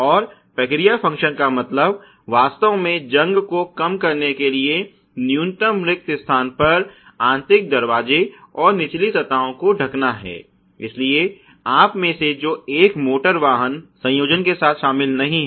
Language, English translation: Hindi, And the process function really is to cover the inner door, lower surfaces at minimum vacs thickness to retard the corrosion, so those of you who not involved with an automotive assembly